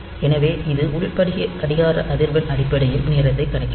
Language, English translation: Tamil, So, it will count time in terms of the internal crystal clock frequency